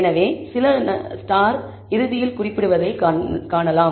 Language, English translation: Tamil, So, we can see few stars being indicated at the end